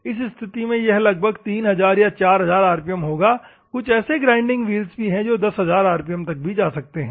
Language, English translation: Hindi, In this case, it will be like 3000 rpm or 4000 rpm; there are some grinding wheels which go around 10000 rpm also